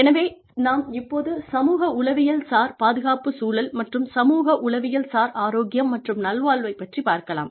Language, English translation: Tamil, So, let us get to the, psychosocial safety climate, and psychological health and well being, in the workplace